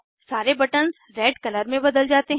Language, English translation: Hindi, All the buttons change to Red color